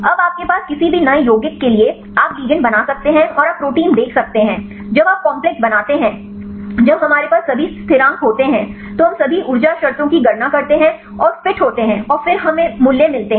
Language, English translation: Hindi, Now, for any new compound you have the you can make the ligand and you can see the protein, when you are make the complex when we have the all the constants, we calculate all the energy terms and fit and then we get the value of delta G